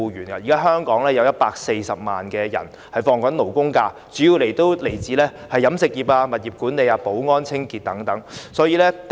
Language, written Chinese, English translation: Cantonese, 現時香港大約有140萬人放取勞工假期，他們主要從事飲食業、物業管理、保安和清潔工作等。, Currently about 1.4 million Hong Kong people have labour holidays and these people are mainly engaged in catering property management security and cleansing work etc